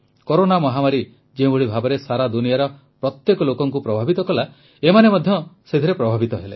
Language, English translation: Odia, Just like the Corona pandemic affected every person in the world, these women were also affected